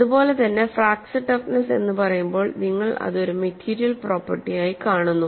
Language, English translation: Malayalam, So, when you say fracture toughness, it is a material property